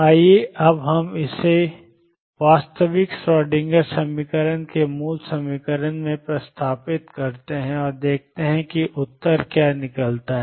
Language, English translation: Hindi, Let us now substitute this in the original equation the true Schrodinger equation and see what the answer comes out to be